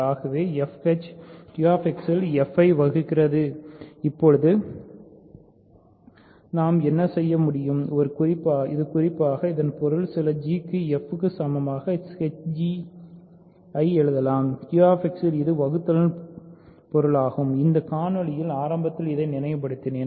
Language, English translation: Tamil, So, f h divides f in Q X now what we can do is so, this in particular means hence we can write h g equal to f for some g in Q X that is the meaning of division right I recalled this at the beginning of this video if when we say h divides f; that means, there exists g in Q X such that h g equal to f